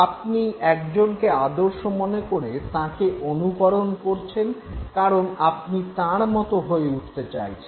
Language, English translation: Bengali, You have selected a model and you are trying to imitate the model because you want yourself to be like him or her